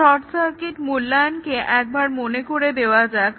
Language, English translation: Bengali, So, this is just one example; short circuit evaluation